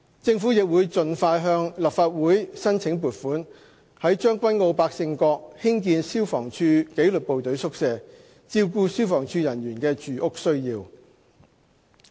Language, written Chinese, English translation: Cantonese, 政府亦會盡快向立法會申請撥款，在將軍澳百勝角興建消防處紀律部隊宿舍，照顧消防處人員的住屋需要。, The Government will also seek funding from this Council as soon as possible for the construction of FSD disciplined services quarters at Pak Shing Kok Tseung Kwan O to cater for the housing needs of FSD staff